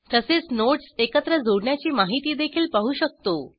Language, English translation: Marathi, Also the information about nodes connecting them together